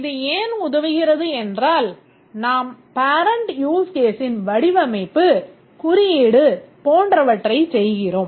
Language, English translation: Tamil, This helps because we do the use case here, parent use case, we do the design code, etc